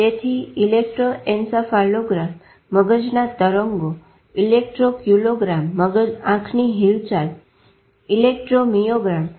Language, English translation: Gujarati, So, it's the electroencephalogram brain waves, electroaculogram eye movements, electro myogram